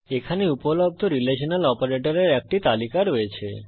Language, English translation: Bengali, Here is a list of the Relational operators available